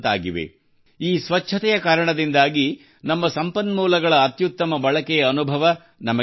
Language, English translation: Kannada, Due to this cleanliness in itself, we are getting the best experience of optimum utilizations of our resources